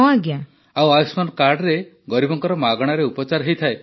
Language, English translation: Odia, And there is free treatment for the poor with Ayushman card